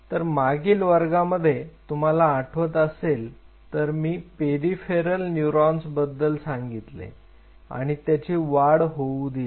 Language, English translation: Marathi, So, in the last class remember I introduced the peripheral neurons and I allowed them to grow